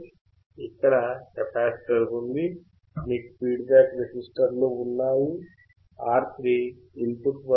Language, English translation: Telugu, You have capacitor; you have feedback resistors; you have R3 at the input